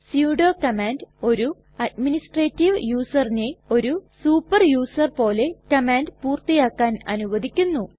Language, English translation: Malayalam, Sudo command allows the administrative user to execute a command as a super user